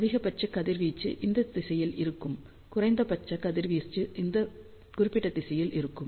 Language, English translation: Tamil, So, maximum radiation will be in this direction and minimum radiation will be in this particular direction